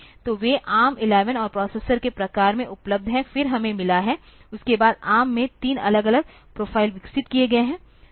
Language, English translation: Hindi, So, they are available in ARM 11 and type of processors, then we have got, after that the ARM developed three different profiles